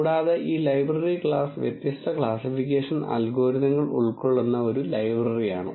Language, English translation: Malayalam, And this library class is a library which contains different classification algorithms